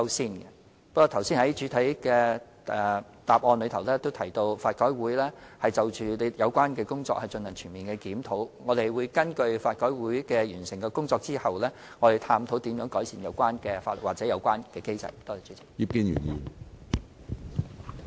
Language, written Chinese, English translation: Cantonese, 正如我剛才在主體答覆也提到，法改會現正就有關工作進行全面檢討，我們會待法改會完成檢討工作後，根據所得結果探討如何改善有關的法例或機制。, As I have just said in the main reply LRC is conducting a thorough review of the relevant issue . Upon completion of LRCs review we will examine how the relevant laws or scheme can be improved based on the review results